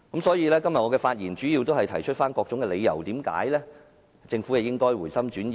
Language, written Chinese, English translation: Cantonese, 所以，我今天的發言主要是提出各項理由，解釋為何政府應該回心轉意。, Therefore my speech today mainly gives reasons explaining why the Government should change its mind